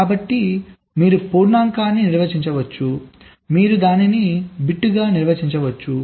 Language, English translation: Telugu, you can define a variable, right, so you can define the integer